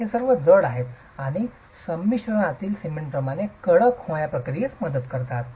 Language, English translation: Marathi, These are all inert and help in the process of hardening like the cement in the composite